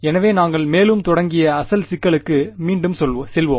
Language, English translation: Tamil, So, let us go back to the very original problem that we started with further for